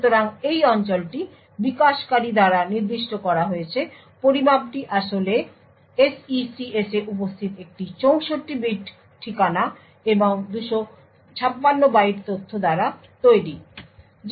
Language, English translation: Bengali, So, this region is specified by the developer the measurement actually comprises of a 64 bit address and 256 byte information present the in SECS